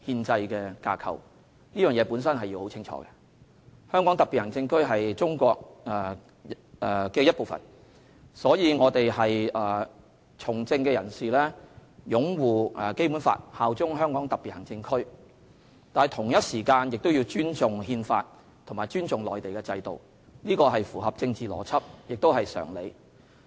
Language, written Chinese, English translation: Cantonese, 香港特別行政區是中華人民共和國的一部分，所以從政人士必須擁護《基本法》和效忠香港特別行政區，同時必須尊重《憲法》和內地的制度，這才合乎政治邏輯和常理。, As HKSAR is part of the Peoples Republic of China all politicians must uphold the Basic Law and pledge allegiance to HKSAR . At the same time they must respect the Constitution and the system in the Mainland . Only by doing so will they be politically logical and reasonable